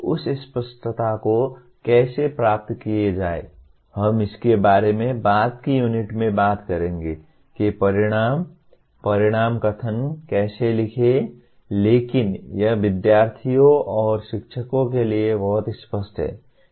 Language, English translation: Hindi, How to achieve that clarity we will talk about in a later unit how to write the outcomes, outcome statements but it is very clear to the students and teachers